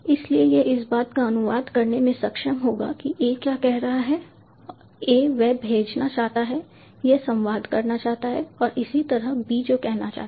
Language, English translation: Hindi, so this will help this one to be able to translate what a is saying a wants to send, he wants to communicate, and similarly what b is say